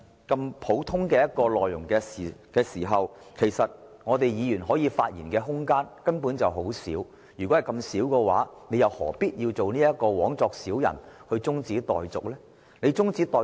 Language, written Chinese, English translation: Cantonese, 既然"察悉議案"的內容如此簡單和普通，議員可以發言的空間根本很少，他又何必枉作小人動議將辯論中止待續？, Since the contents of the take - note motion are so simple and ordinary Members will basically have little to say; why then did he move a motion to adjourn the debate?